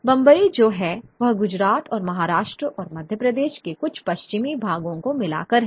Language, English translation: Hindi, And you had Bombay, the Bombay is by and large Gujarat and Maharashtra and certain western parts of Madhya Pradesh